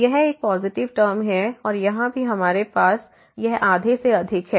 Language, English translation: Hindi, So, this is a positive term, this is a positive term and here also we have this is greater than half